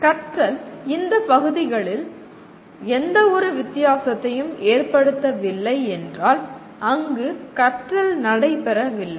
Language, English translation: Tamil, If learning did not make any difference to any of these areas that means the learning has not taken place